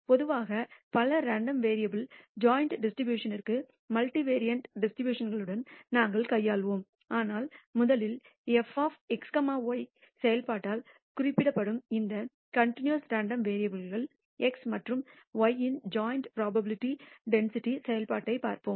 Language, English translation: Tamil, In general, we will be dealing with the multivariate distributions which are joint distribution of several random variables, but first we will look at the joint probability density function of two continuous random variables x and y denoted by the function f of x comma y